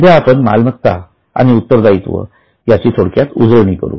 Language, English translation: Marathi, Right now let us briefly revise asset and liabilities